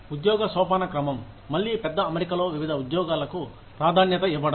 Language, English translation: Telugu, Job hierarchy, again the prioritization of different jobs, within a large setup